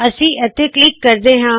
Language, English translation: Punjabi, Let me click here